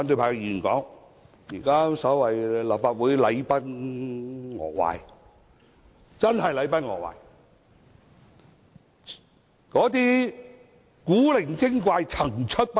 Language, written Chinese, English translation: Cantonese, 我同意立法會真是禮崩樂壞，古靈精怪層出不窮。, I very much agree to such saying for there have been endless eccentricities and irregularities in the Council